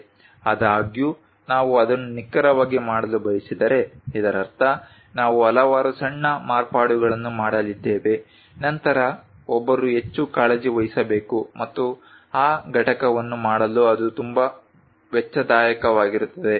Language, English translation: Kannada, However, if you want to really make it precise; that means, you are going to make various small variation, then one has to be at most care and to make that component it will be very costly